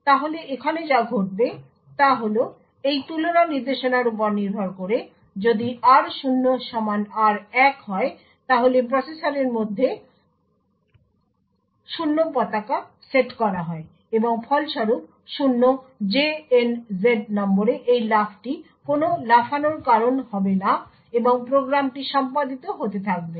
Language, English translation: Bengali, So what happens over here is that depending on this comparison instruction if r0 is equal to r1, then the 0 flag is set within the processor and as a result this jump on no 0 would not cause a jump and the program will continue to execute